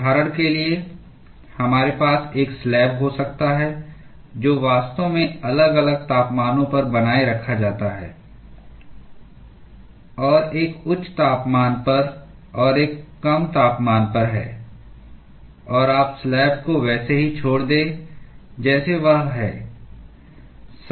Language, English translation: Hindi, For instance, we may have a slab which is actually maintained at different temperatures and one at a higher and one at a lower temperature; and you just leave the slab as it is